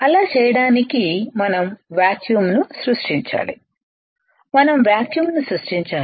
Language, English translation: Telugu, To do that we have to create a vacuum we have to create a vacuum alright